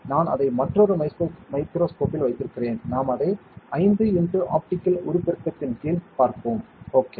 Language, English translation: Tamil, I am keeping it another microscope; we will look at it under 5 x optical magnification, ok